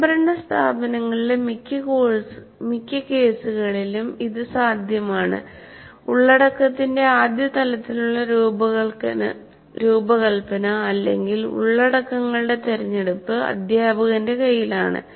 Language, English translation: Malayalam, But it is possible in most of the cases in autonomous institutions, the first level of design of content or the choice of the contents rests with the teacher